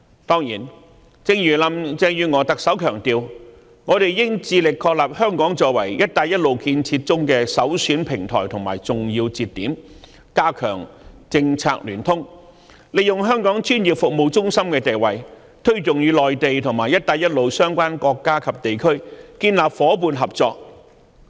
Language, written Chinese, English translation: Cantonese, 當然，正如特首林鄭月娥強調，我們應致力確立香港作為"一帶一路"建設中的首選平台和重要接點，加強政策聯通，利用香港專業服務中心的地位，推動與內地和"一帶一路"相關國家及地區建立夥伴合作。, Certainly as emphasized by Chief Executive Carrie LAM we should be committed to establishing Hong Kong as the prime platform and a key link for the Belt and Road Initiative . Efforts should be made to enhance policy coordination while making use of Hong Kongs position as the professional services hub to promote partnership and collaboration with the Mainland and Belt and Road related countries and regions